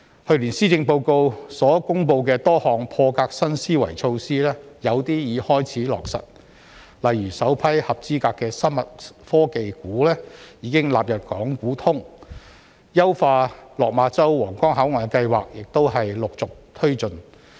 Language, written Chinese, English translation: Cantonese, 去年施政報告所公布的多項破格新思維措施，有些已開始落實，例如首批合資格的生物科技股已經納入港股通、優化落馬洲/皇崗口岸的計劃亦陸續推進。, Last years Policy Address contained many innovative measures some of which have already been rolled out . For example the first batch of qualified biotechnology stocks have been included in the southbound Stock Connect and the plans to enhance Lok Ma ChauHuanggang control point have also been taken forward